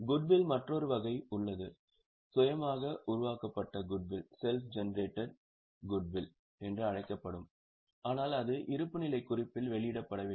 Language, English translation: Tamil, There is another category of goodwill which is known as self generated goodwill but it is not disclosed in the balance sheet